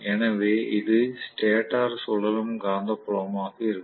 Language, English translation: Tamil, So, this is going to be the stator revolving magnetic field